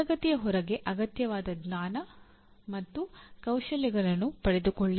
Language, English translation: Kannada, Acquire the required knowledge and skills outside classroom